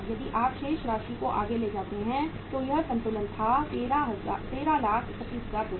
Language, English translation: Hindi, This balance was if you take the balance forward so that balance was 13,31,250